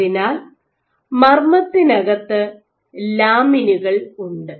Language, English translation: Malayalam, So, while inside you have lamins